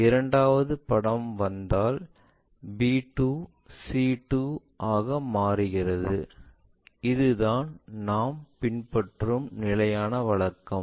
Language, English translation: Tamil, If the second picture comes, naturally it becomes a 2, b 2 and so on that that is the standard convention we follow it